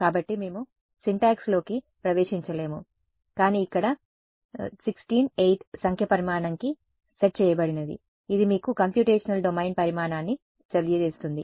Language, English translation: Telugu, So, we would not get into syntax, but what is being set over here this size is 16 8 no size this is telling you the size of the computational domain